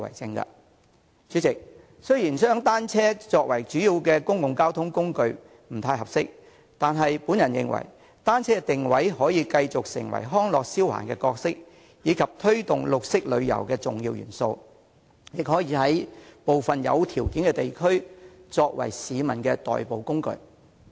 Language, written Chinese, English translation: Cantonese, 代理主席，雖然將單車作為主要公共交通工具不太合適，但我認為單車可以繼續定位為康樂消閒工具，以及推動綠色旅遊的重要元素，亦可以在部分有條件的地區作為市民的代步工具。, Deputy President although bicycles are not quite suitable for use as a major mode of public transport I consider that bicycles can continue to be positioned as a tool for recreational and leisure purposes and an important element in promoting green tourism . They can also serve as a mode of transport in some areas offering the conditions . In recent years the Government has reserved a lot of land for constructing cycle tracks in conducting planning on the new development areas